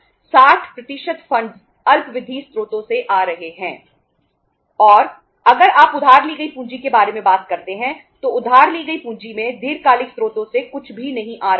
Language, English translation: Hindi, And if you talk about the borrowed capital, borrowed capital in the borrowed capital nothing is coming from the long term sources